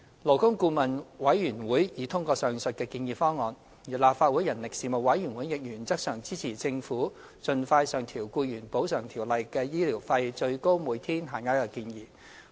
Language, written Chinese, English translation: Cantonese, 勞工顧問委員會已通過上述的建議方案，而立法會人力事務委員會亦原則上支持政府盡快上調《僱員補償條例》的醫療費最高每天限額的建議。, The Labour Advisory Board has endorsed the above proposal . Moreover the Legislative Council Panel on Manpower has supported in principle the Governments proposal to increase the maximum daily rates of medical expenses under the Ordinance as soon as practicable